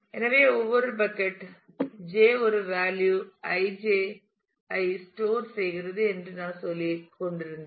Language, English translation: Tamil, So, what I was saying that each bucket j stores a value i j